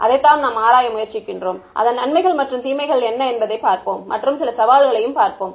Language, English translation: Tamil, That is what we will try to explore and we will see what are the advantages and disadvantages and some of the challenges ok